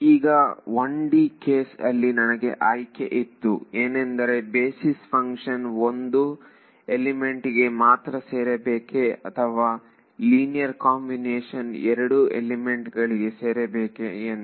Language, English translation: Kannada, So, again like in 1 D case I had a choice whether the basis function should be belonging only to 1 element or linear combination of something that belongs to both elements right